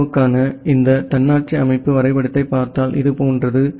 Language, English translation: Tamil, And if you look into this autonomous system graph for India it looks something like this